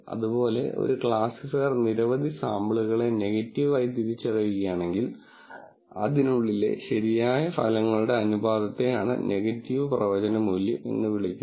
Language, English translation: Malayalam, Similarly, if a classifier identifies several samples as negative, the proportion of correct results within this is what is called negative prediction value